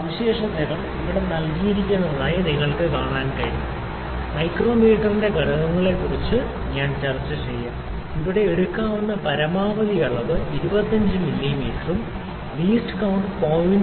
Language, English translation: Malayalam, So, you can see the specifications are given here, I will just discuss the components of the micrometer we can see that the maximum measurement that can be taken here is 25 mm and the least count is 0